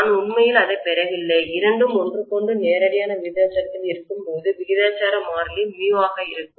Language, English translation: Tamil, I am not really deriving that and we are saying that when you have both of them directly proportional to each other, the proportionality constant happens to be mu